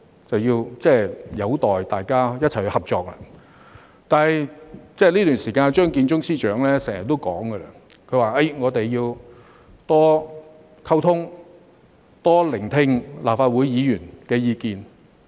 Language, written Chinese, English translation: Cantonese, 這便有待大家一起合作，而在這段時間，張建宗司長也經常說要多溝通，多聆聽立法會議員的意見。, We will have to work together and Chief Secretary Matthew CHEUNG has often said during this period of time that they should enhance communication with Members of the Legislative Council and listen more to our views